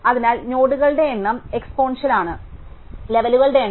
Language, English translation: Malayalam, So, therefore, the number of nodes is exponential in number of levels